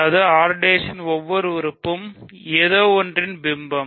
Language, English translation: Tamil, That means, every element of R prime is image of something